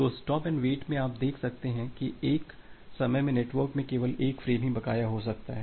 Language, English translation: Hindi, So, in stop and wait you can see that at one instance of time, only one frame can be outstanding in the network